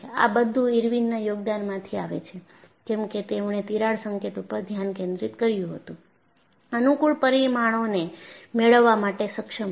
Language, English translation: Gujarati, So, all that comes from contribution by Irwin; just because he shifted the focus to the crack tip, we were able to get convenient parameters